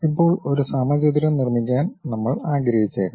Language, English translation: Malayalam, Now, maybe we want to construct a square